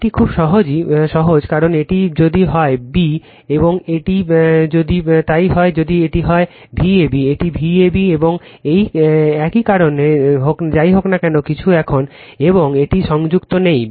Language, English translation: Bengali, It is very simple because if this is your this is your b and this is your a right, so if it is if this is your V ab right, this is your V ab and this same because no anyway nothing is connected here and this